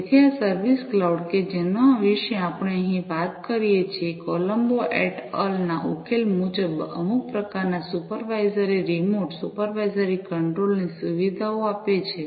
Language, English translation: Gujarati, So, this service cloud that we talk about over here, as per the solution by Colombo et al, facilitates some kind of supervisory remote supervisory control